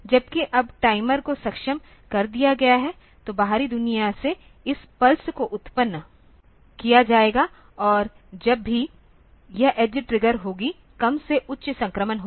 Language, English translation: Hindi, Whereas, now the timer has been enabled; so, from the outside world this pulses will be generated and whenever this edge triggering will occur low to high transition will occur